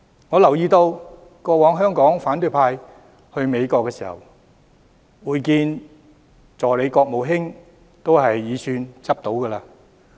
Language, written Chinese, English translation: Cantonese, 我留意到過往香港的反對派到訪美國時，如能會見助理國務卿已算走運。, I notice that when Members in the opposition camp visited the United States in the past they could consider themselves lucky if they were offered to meet with the Deputy Secretary of State